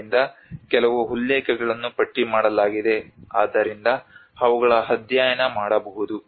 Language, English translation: Kannada, So there are few references listed out so one can actually go through that